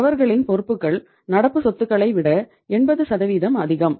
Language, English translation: Tamil, And their liabilities are 80% more than the current assets